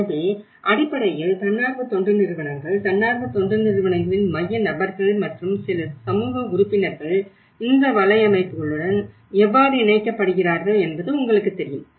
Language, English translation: Tamil, So basically the NGOs, how the central persons of the NGOs and as well as you know, some community members how they are also linked with these networks